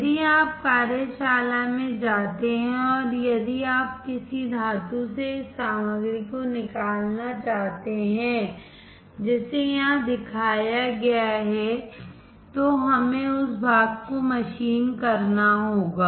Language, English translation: Hindi, If you go to workshop and if you want to remove this much material from a metal, which is shown here then we can we have to machine that part